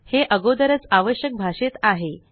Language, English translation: Marathi, It is already in the required language